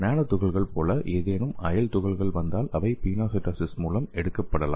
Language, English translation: Tamil, And if any foreign particles comes nanoparticles they can also taken up by this pinocytosis process